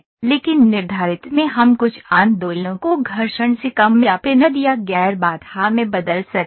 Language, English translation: Hindi, But in prescribed we can change some of the movements to friction less or pinned or non constraint